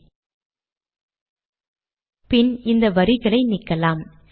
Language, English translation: Tamil, And then we will delete these lines